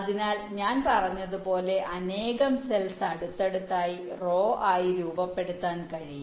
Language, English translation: Malayalam, so so, as i said, number of cells can be put side by side, abutted to form rows